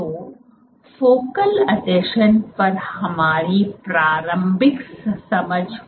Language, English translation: Hindi, So, that completes our initial understanding of what focal adhesions are